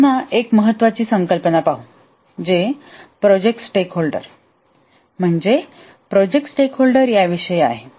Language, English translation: Marathi, Now let us look at a important concept again which is about project stakeholders